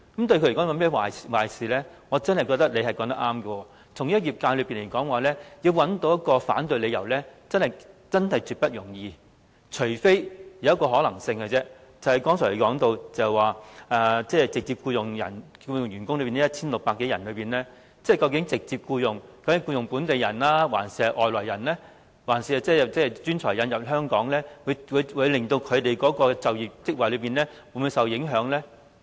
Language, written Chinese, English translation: Cantonese, 我真的認為他說得對，對業界來說，要找到一個反對理由，真是絕不容易，只有一個可能性，便是他剛才說直接僱用的 1,600 多人之中，究竟直接僱用的是本地人，還是從香港以外引入的專才呢？會否令他們的就業職位受到影響呢？, I really think he is right in saying that it is absolutely not easy for the industry to find a reason to oppose the Bill . The only possible reason will lie in whether the 1 600 - odd people of direct employment are local people or the talents imported from places outside Hong Kong or in other words whether their job opportunities will be jeopardized